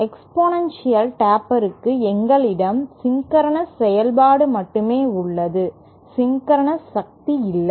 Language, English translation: Tamil, Whereas for the exponential taper we have a sync function only, there is no power of sync